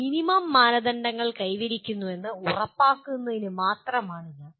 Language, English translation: Malayalam, This is only to ensure that minimum standards are attained